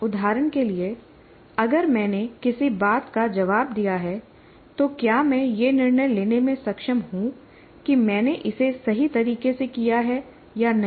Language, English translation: Hindi, For example, if I have responded to something, am I able to make a judgment whether I have done it correctly or not